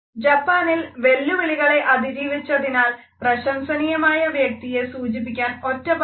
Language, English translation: Malayalam, In Japan there is a word for someone who is worthy of praise overcoming a challenge